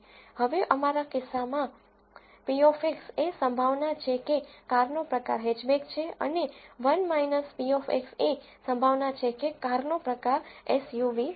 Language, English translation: Gujarati, Now, p of x in our case is the probability that the car type is hatchback and 1 minus p of x is the probability that the car type is SUV